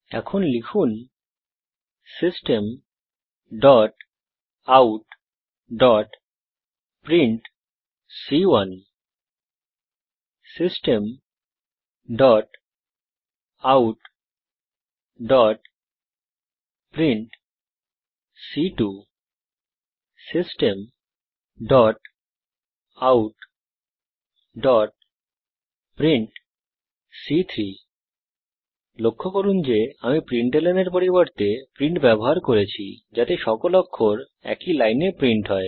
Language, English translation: Bengali, type, System.out.print System.out.print System.out.print Please note that Im using print instead of println so that all the characters are printed on the same line